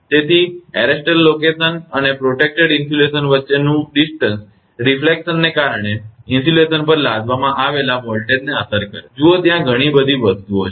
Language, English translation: Gujarati, So, distance between the arrester location and the protected insulation affect the voltage imposed on insulation due to reflections look so many things are there